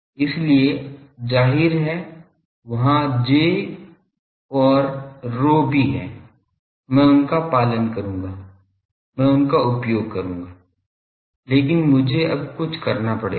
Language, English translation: Hindi, So; obviously, there are J and rho also I will make use of them, but I need to now do something